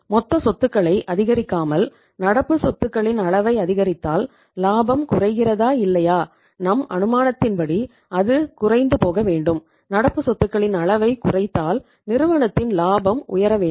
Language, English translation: Tamil, If you increase the level of current assets by not increasing the total assets then whether the profitability is going down or not; as per our assumption it should go down and if you decrease the level of current assets the profitability of the firm should go up